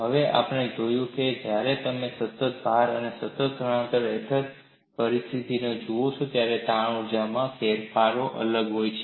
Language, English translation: Gujarati, Now, you have seen when you look at the situation under constant load and constant displacement, the strain energy changes or differ